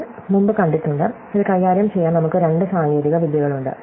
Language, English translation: Malayalam, So, we have seen before, we have two technologies to deal with this